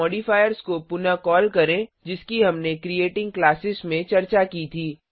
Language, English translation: Hindi, Recall modifiers we had discussed in Creating Classes